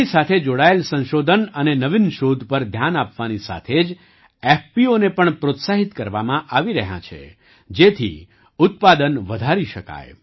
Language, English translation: Gujarati, Along with focusing on research and innovation related to this, FPOs are being encouraged, so that, production can be increased